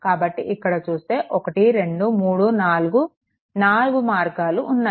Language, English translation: Telugu, So, if you look into that 1 2 3 4 four branches are there